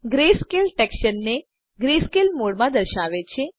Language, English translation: Gujarati, Greyscale displays the textures in greyscale mode